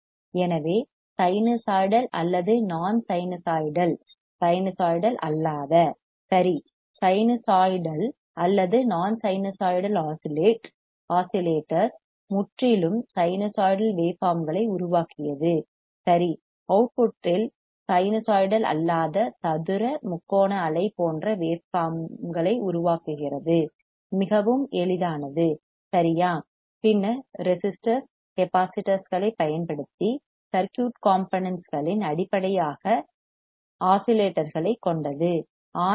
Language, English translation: Tamil, So, either sinusoidal or non sinusoidal, all right, sinusoidal or non sinusoidal oscillators produced purely sinusoidal waveforms, right, at the output non sinusoidal produce waveforms like square triangular wave etcetera easy very easy, right, then based on circuit components oscillators using resistors capacitors are called RC oscillators right resistors R capacitors is RC oscillators